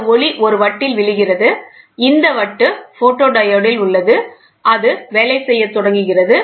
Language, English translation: Tamil, This light falls on a disc so, this disc is on photodiode and it starts doing, ok